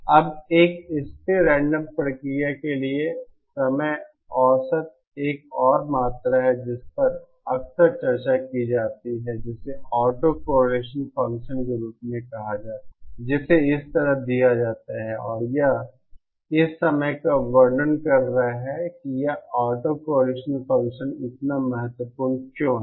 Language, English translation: Hindi, Now the time average for a stationary random process another quantity that is frequently discussed is what is called as the autocorrelation function which is given like this and this is describing at the moment why this autocorrelation function is so important